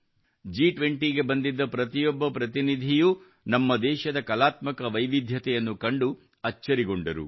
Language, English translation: Kannada, Every representative who came to the G20 was amazed to see the artistic diversity of our country